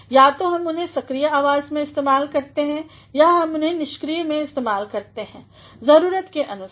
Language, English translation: Hindi, Either we use them in active or we use them in passive, depending upon the need